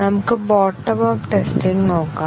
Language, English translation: Malayalam, Let us look at the bottom up testing